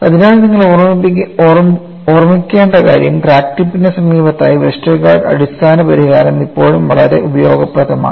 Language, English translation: Malayalam, So, what you will have to keep in mind is, in the near vicinity of crack tip, the basic solution of Westergaard is still very useful